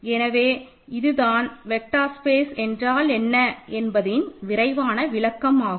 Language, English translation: Tamil, So, this is a quick review of what a vector space is